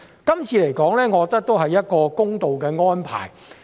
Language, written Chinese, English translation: Cantonese, 這次修例，我認為是公道的安排。, This amendment in my opinion is a fair arrangement